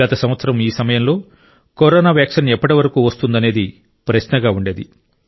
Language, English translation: Telugu, Last year, around this time, the question that was looming was…by when would the corona vaccine come